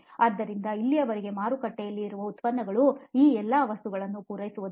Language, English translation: Kannada, So till now the products that are again that are existing in the market they do not serve all these things